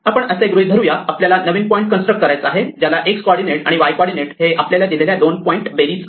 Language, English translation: Marathi, Let us assume that we want to construct a new point whose x coordinate and y coordinate is the sum of the two points given to us